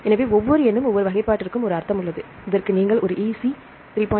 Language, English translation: Tamil, So, each number and each classification they have a meaning for example if you see this one EC 3